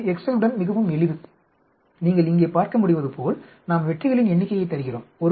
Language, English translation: Tamil, It is quite simple with the excel, as you can see here, we give the number of successes